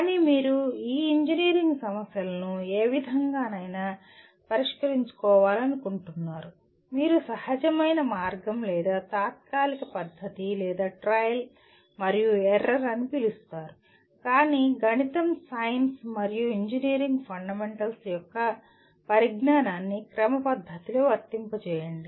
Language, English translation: Telugu, But you want to solve these engineering problems not in any what do you call intuitive way or ad hoc manner or by trial and error but applying the knowledge of the mathematics, science, and engineering fundamentals in a systematic manner